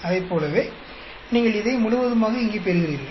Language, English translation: Tamil, Like that you get this entire exactly here